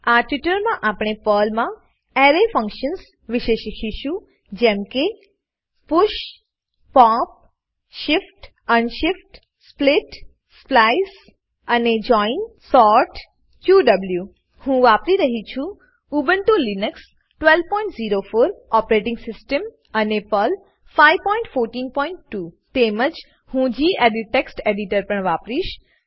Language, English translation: Gujarati, Welcome to the spoken tutorial on Array Functions in Perl In this tutorial, we will learn about Array functions in Perl, like 00:00:11 00:00:10 push pop shift unshift split splice and join sort qw I am using Ubuntu Linux12.04 operating system and Perl 5.14.2 I will also be using the gedit Text Editor